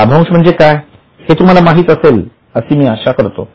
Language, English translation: Marathi, I hope you know what is a dividend